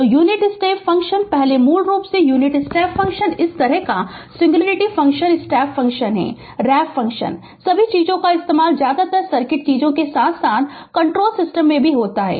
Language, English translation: Hindi, So, unit step function first right basically unit step function this kind of singularity function step function, ramp function all set of things you will find mostly used in the circuit thing as well as in the control system right